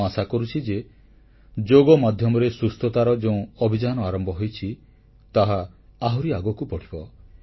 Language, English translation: Odia, I hope the campaign of wellness through yoga will gain further momentum